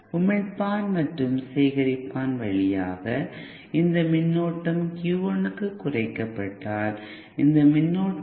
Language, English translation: Tamil, If the voltage if the if this current through the emitter and collector reduces for Q 1, then this current